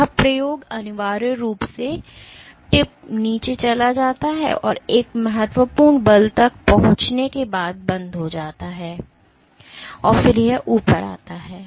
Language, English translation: Hindi, The pull experiment is essentially, the tip goes down and it stops once it reaches a critical force and then it comes up